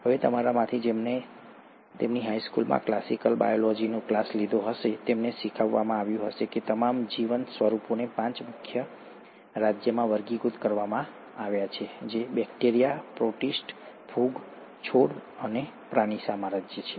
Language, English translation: Gujarati, Now those of you who would have taken a classical biology class in their high school, they would have been taught that the all the living forms are classified into five major kingdoms, which is, the bacteria, the protista, the fungi, the plant, and the animal kingdom